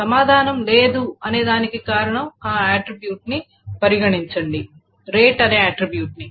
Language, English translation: Telugu, The reason why the answer is no is that consider this attribute, let us say rate